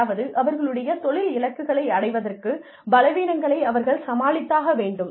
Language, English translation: Tamil, So, to achieve the weakness, they need to overcome, to achieve their career goals